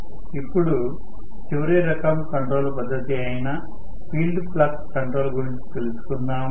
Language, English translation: Telugu, Now, let us try to look at the last type of control which is field flux control